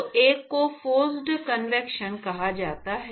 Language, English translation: Hindi, So, one is called the forced convection